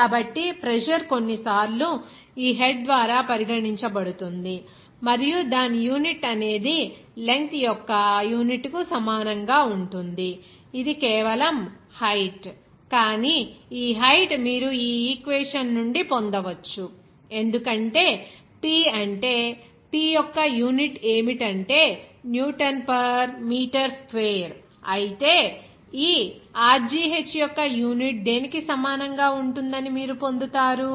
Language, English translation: Telugu, So, pressure is sometimes regarded by this head and its unit will be equal to unit of the length because this is simply height, but this height you can get it from this equation because P is, what is that unit for P is Newton per meter square whereas you will get that this Rho gh unit will be equal to what